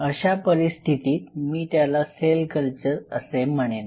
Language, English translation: Marathi, In that situation, I will call it a tissue culture